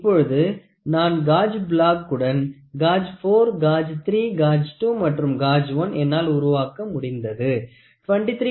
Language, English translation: Tamil, So now with four gauge blocks so, gauge 4 gauge 3 gauge 2 and gauge 1 I could built a this is 23